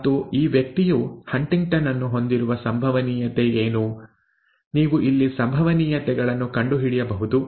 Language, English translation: Kannada, And what is the probability that this person will will have HuntingtonÕs, you can work at the probabilities here